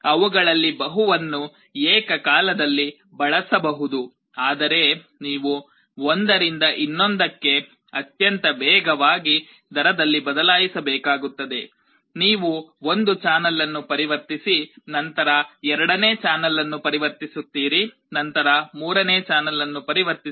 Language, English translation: Kannada, Multiple of them can be used simultaneously, but you will have to switch from one to other at a very fast rate; you convert one channel then converts second channel, then convert third channel